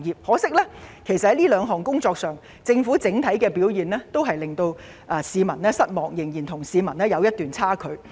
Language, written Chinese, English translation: Cantonese, 可惜，在這兩項工作上，政府的整體表現令市民失望，與市民的期望仍有差距。, However the Governments performance on these two tasks is on the whole disappointing and falls short of public expectations